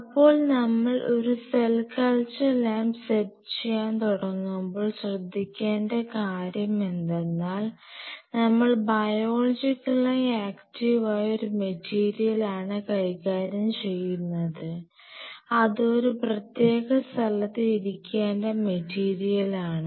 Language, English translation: Malayalam, So, whenever we talk about setting up a lab, as perceive of the cell culture which is you are dealing with biologically active material and material which should remain confined within a space